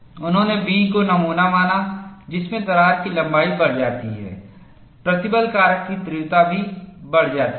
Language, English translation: Hindi, They considered specimen B, wherein, as the crack length increases, the stress intensity factor also increases